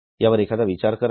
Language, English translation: Marathi, Just have a thought on this